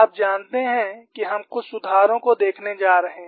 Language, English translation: Hindi, You know we are going to look at quite a few improvements